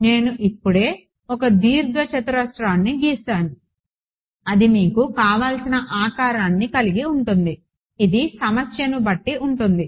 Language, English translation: Telugu, I have just drawn a rectangle it can be any shape you want, depending on the problem fine